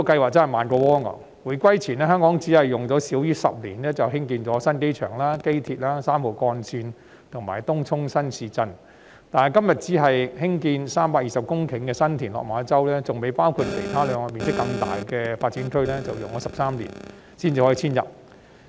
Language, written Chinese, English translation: Cantonese, 回歸前，香港只用了少於10年便建成新機場、機場鐵路、三號幹線及東涌新市鎮；但今天，只是建設320公頃的新田/落馬洲發展樞紐，尚未包括其餘兩個面積更大的發展區，卻要花13年才可以遷入。, Before the return of sovereignty to China Hong Kong was able to complete the construction of the new airport Airport Express Route 3 and Tung Chung New Town in less than 10 years . Today we are only talking about the development of the 320 - hectare San TinLok Ma Chau Development Node not including the remaining two development areas which cover a larger area of land but it has to take 13 years before the intake can take place